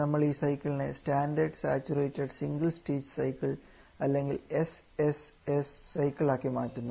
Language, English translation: Malayalam, And for that purpose we move to this cycle which we have turned as a standard saturated single stage cycle or the SSS cycle